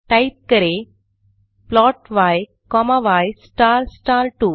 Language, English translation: Hindi, Then plot y comma y star star 2